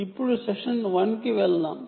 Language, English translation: Telugu, so this is session one